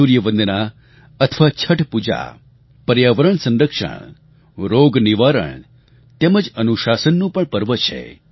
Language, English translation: Gujarati, Sun worship or Chhath Pooja is a festival of protecting the environment, ushering in wellness and discipline